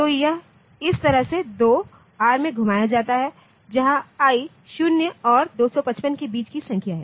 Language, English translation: Hindi, So, it is like this i rotate right 2 into r, where i is a number between 0 and 255